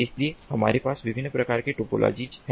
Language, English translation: Hindi, so what we have are different types of topologies